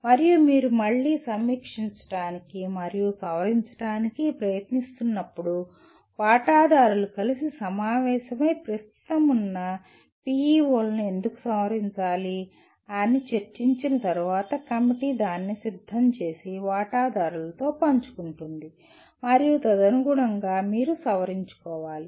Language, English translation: Telugu, And when you are trying to review and modify again one has to go through the process of stakeholders meeting together and deciding why should the existing PEOs be modified and after brainstorming the committee prepares and shares it with the stakeholders and then correspondingly you modify